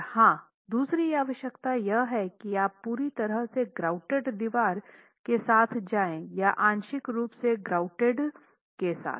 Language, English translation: Hindi, And of course there is the other requirement, are you going to be looking at a fully grouted wall or are you going to be looking at a partially grouted wall